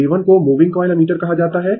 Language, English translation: Hindi, A 1 is called moving coil ammeter